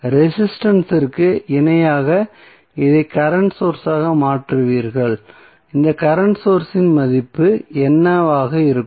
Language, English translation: Tamil, You will convert this into current source in parallel with resistance what would be the value of this current source